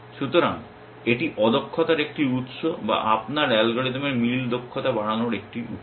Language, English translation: Bengali, So, this is one source of inefficiency or one avenue for increasing the efficiency of your match algorithm